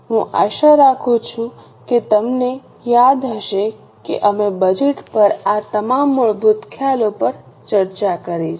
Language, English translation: Gujarati, I hope you remember we have discussed all these basic concepts on budget